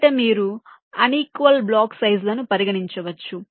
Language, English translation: Telugu, firstly, you can consider unequal block sizes